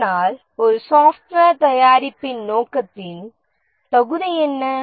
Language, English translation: Tamil, But what is the fitness of purpose of a software product